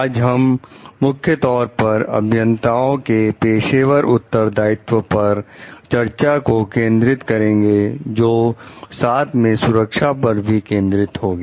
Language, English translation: Hindi, Today we will mainly focus on the discussion of the professional responsibilities of engineers with regard to safety